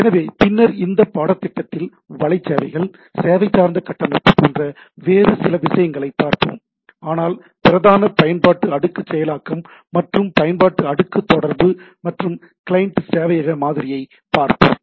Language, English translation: Tamil, So, later on in this course, we will look at some other things like web services, service oriented architecture, but the predominant application layer processing or what we say application layer communication is will be done, we will be seeing the client server model